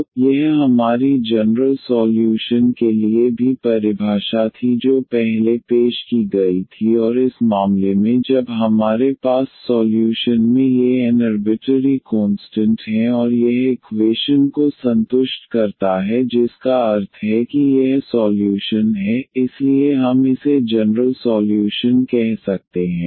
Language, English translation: Hindi, So, that was our definition also for the general solution which was introduced earlier and in this case when we have these n arbitrary constants in the solution and it satisfies the equation meaning this is the solution, so we can call this as the general solution